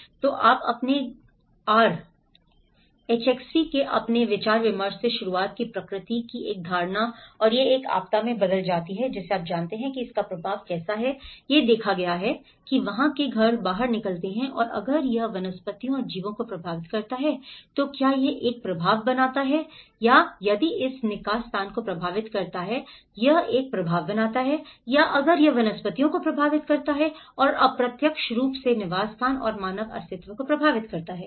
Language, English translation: Hindi, So, you started with your discussions of the R=HxV you know how a perception of a nature and how it turns into a disaster you know and how the impact is seen if the houses out there and if it affects the flora and fauna, does it make an impact or if it affects the habitat does it make an impact or if it affects the flora and indirectly affects the habitat and the human survival